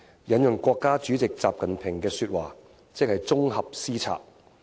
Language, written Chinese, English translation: Cantonese, 引用國家主席習近平的說話，即是綜合施策。, Quoting the words of State President XI Jinping it is about integrated policy implementation